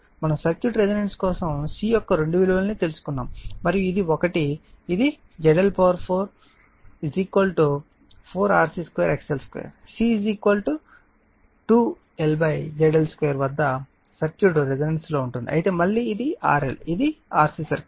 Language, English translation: Telugu, We obtained two values of c for which the circuit is resonance and if this one is equal to this 1 ZL to the power four is equal to 4 RC square XL square the circuit is resonance at C is equal to 2 L upon ZL square right again this is for L this is for C